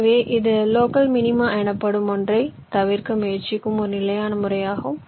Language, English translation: Tamil, so this is a very standard method of trying to avoid something called local minima